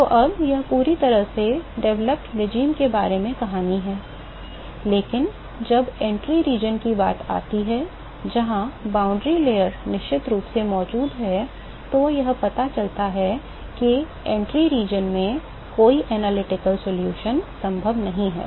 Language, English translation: Hindi, So, now, this is all the story about fully developed regime, but when it comes to like entry region, where the boundary layer is definitely present it turns out that the entry region, there is no analytical solution possible